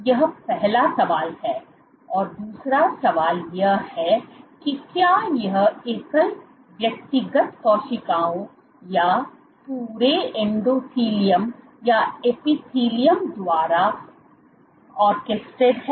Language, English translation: Hindi, and the second question is, so, this is the first question the second question is, is it orchestrated by single individual cells single cells or the entire endothelium or epithelium